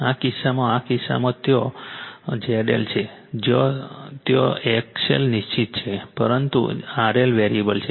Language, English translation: Gujarati, In this case in this case your Z L is there, where X L is fixed, but R L is variable